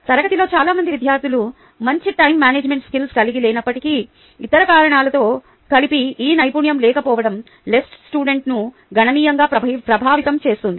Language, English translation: Telugu, although many students in class do not possess good time management skills, a lack of this skill, in combination with other reasons, significantly affects the ls